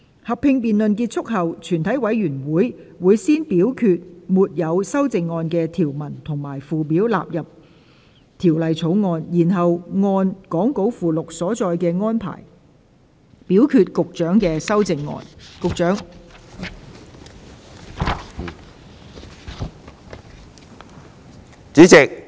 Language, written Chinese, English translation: Cantonese, 合併辯論結束後，全體委員會會先表決沒有修正案的條文及附表納入《條例草案》，然後按講稿附錄所載的安排，表決局長的修正案。, Upon the conclusion of the joint debate the committee will first vote on the clauses and schedules with no amendment standing part of the Bill and then vote on the Secretarys amendments according to the arrangements set out in the Appendix to the Script